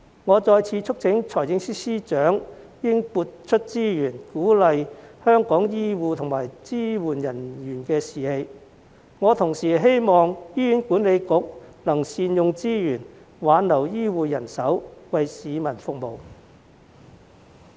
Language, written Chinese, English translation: Cantonese, 我再次促請司長撥出資源，鼓勵香港醫護和支援人員的士氣，同時希望醫院管理局能善用資源，挽留醫護人手，為市民服務。, I once again urge FS to allocate resources to boost the morale of Hong Kongs healthcare and supporting staff . I also hope that the Hospital Authority will make optimal use of its resources to retain healthcare staff to serve members of the public